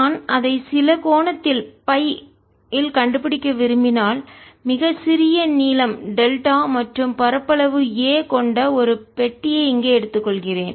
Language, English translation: Tamil, if i want to find it at some angle phi, let me take a box here of very small length, delta, an area a